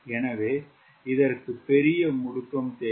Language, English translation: Tamil, so it needs to have larger acceleration